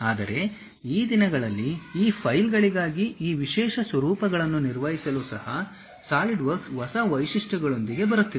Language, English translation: Kannada, But these days, Solidworks is coming up with new features even to handle these specialized formats for these files